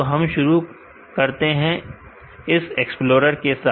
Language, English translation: Hindi, So, let us begin let us go to the explorer